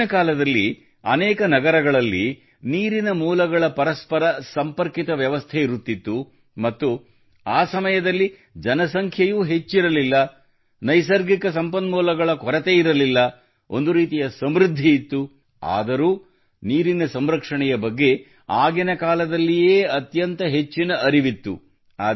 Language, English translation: Kannada, In ancient times, there was an interconnected system of water sources in many cities and this was the time, when the population was not that much, there was no shortage of natural resources, there was a kind of abundance, yet, about water conservation the awareness was very high then,